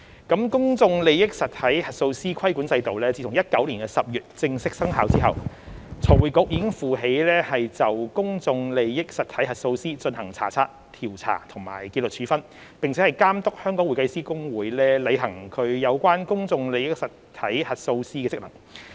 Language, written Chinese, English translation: Cantonese, 公眾利益實體核數師規管制度自2019年10月正式生效後，財務匯報局已負起就公眾利益實體核數師進行查察、調查及紀律處分，並監督香港會計師公會履行有關公眾利益實體核數師的職能。, Since the regulatory regime for auditors of public interest entities PIEs formally came into operation in October 2019 the Financial Reporting Council FRC has been responsible for the inspection investigation and discipline of PIE auditors as well as oversight of the performance of the Hong Kong Institute of Certified Public Accountants HKICPA in relation to PIE auditors